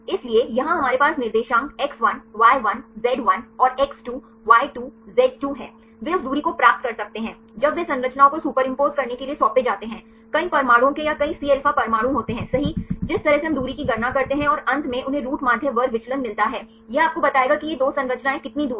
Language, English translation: Hindi, So, here we have the coordinate x1, y1, z1 and x2, y2, z2 they can get the distance when they assigned to superimpose the structures there are several atoms right or several Cα atoms for each way case we calculate the distance and finally, they get the root mean square deviation right this will tell you how far these 2 structures are similar